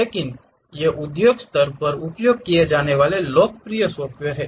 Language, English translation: Hindi, But these are the popular softwares used at industry level